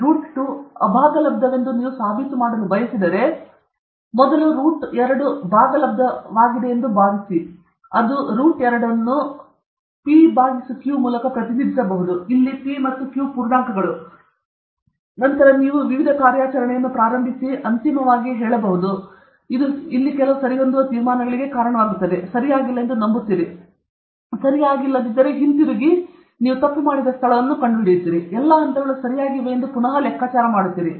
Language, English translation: Kannada, If you want to prove that root 2 is irrational, we assume that root 2 is rational, that is root 2 can be represented as p by q okay, where p and q are integers; then you start working various operation; finally, it will lead, it will lead to some observed conclusions, which you believe is not correct; therefore, if this is not correct, you go back and find out where you make the mistake; you figure out all the steps are correct